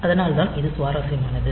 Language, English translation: Tamil, So, it is interesting like this